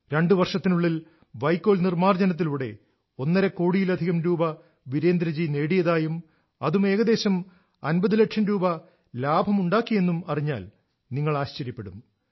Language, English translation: Malayalam, You will be amazed to know that in just two years, Virendra ji has traded in stubble in excess of Rupees Two and a Half Crores and has earned a profit of approximately Rupees Fifty Lakhs